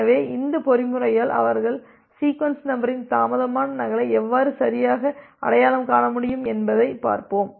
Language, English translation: Tamil, So, let us see that how with this mechanism they can correctly identify delayed duplicate of the sequence numbers